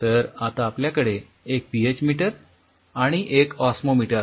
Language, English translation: Marathi, So, now, a PH meter you have an osmometer